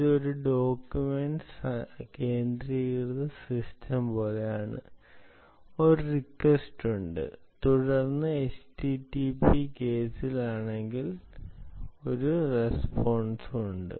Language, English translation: Malayalam, its like a document centric system and there is a request and then there is a response, right in the http case